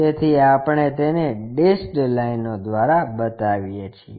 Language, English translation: Gujarati, So, we show it by dashed lines